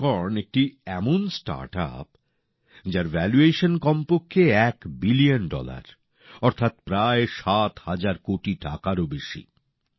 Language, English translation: Bengali, 'Unicorn' is a startup whose valuation is at least 1 Billion Dollars, that is more than about seven thousand crore rupees